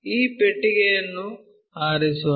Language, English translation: Kannada, Let us pick this box